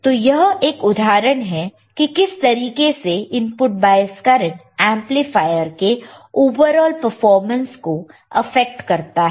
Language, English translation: Hindi, So, this is an example how the input bias current affects the overall performance of the amplifier